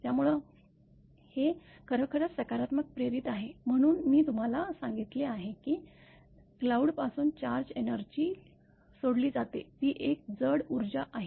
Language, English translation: Marathi, So, this is actually induced positive in; this I have told you therefore, the charge energy from cloud is released; it is a heavy energy is lighting current is very high actually